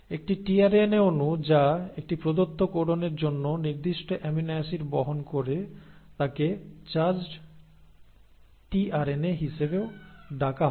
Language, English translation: Bengali, Now such a tRNA molecule which for a given codon carries that specific amino acid is also called as a charged tRNA